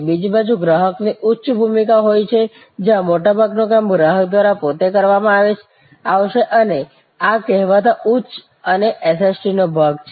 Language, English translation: Gujarati, On the other hand, there can be high involvement of customer, where most of the work will be done by the customer and these are the arenas of so called high and SST